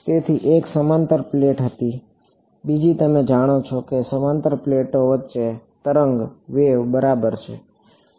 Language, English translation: Gujarati, So, one was parallel plate, the other is you know wave between parallel plates ok